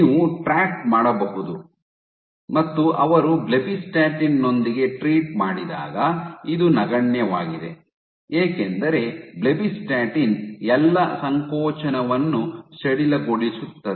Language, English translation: Kannada, So, you can track and when they treated with blebbistatin right blebbistatin inhibit is contractility, when they treated with blebbistatin this was negligible, because blebbistatin relaxes all contractility